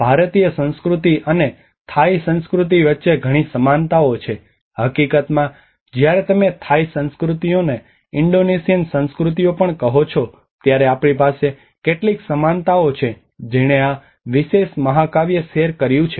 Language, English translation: Gujarati, There are many similarities between the Indian culture and the Thai culture, in fact, when you say even Indonesian cultures to Thai cultures, we have some similarities which shared this particular epic